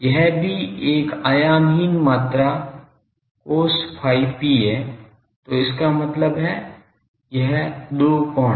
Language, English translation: Hindi, This is also a dimensionless quantity cos phi p; so, that means, this 2 angles